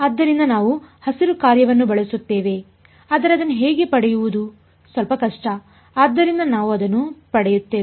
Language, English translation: Kannada, So, we will use the Green’s function, but the how to get it is little bit tricky, so, we will get to it